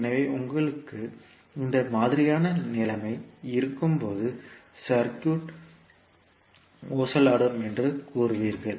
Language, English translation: Tamil, So when you have this kind of situation then you will say that the circuit is oscillatory